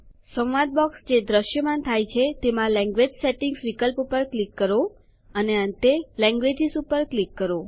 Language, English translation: Gujarati, In the dialog box which appears, click on the Language Settings option and finally click on Languages